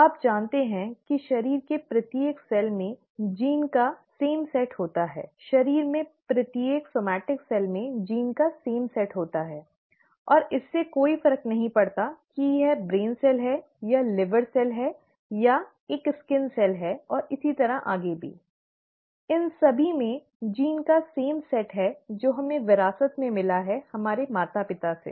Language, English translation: Hindi, You know that each cell in the body has the same set of genes; each somatic cell in the body has the same set of genes, and it does not matter whether it is the brain cell or the liver cell or a skin cell and so on so forth, they all have the same set of genes that we inherited from our parents